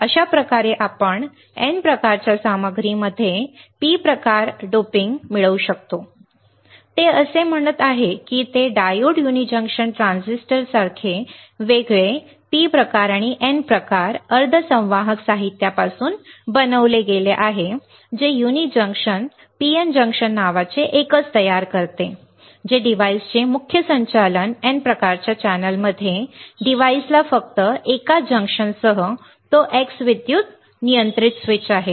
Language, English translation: Marathi, This is how we can obtain a P type doping in N type material; that is what he is saying that it like diodes uni junction transistor are constructed from separate P type and N type semiconductor materials forming a single named uni junction PN junction within the main conducting N type channel of the device the device with only one junction that X is exclusively as electrically controlled switch